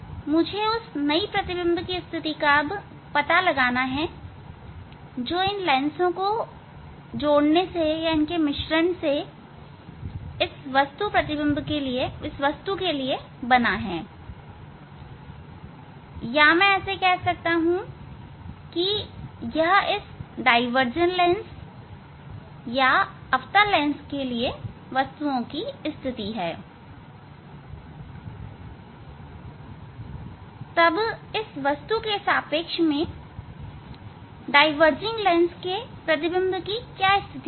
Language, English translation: Hindi, Now, I have to find out the new position of the new position of the image which is image for the combination of this lens for this object or I can say that if this is the position of the objects for this diverging lens or concave lens, then that will be the image position of the diverging lens with respect to this object